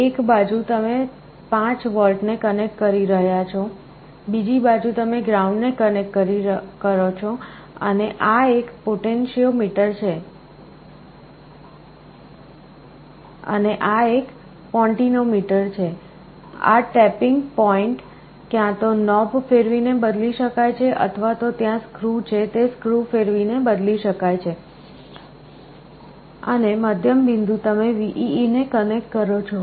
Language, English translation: Gujarati, On one side you can connect 5V, on the other side you connect ground, and this is a potentiometer, this tapping point can be changed either by rotating a knob or there is screw by rotating a screw, and the middle point you connect to VEE